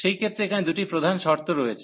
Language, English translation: Bengali, So, in that case so these are the two main conditions here